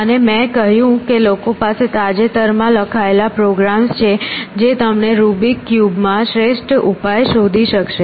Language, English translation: Gujarati, So, will try an address this how and I said people have more recently written programs which will find you the optimal solution in a Rubik’s cube essentially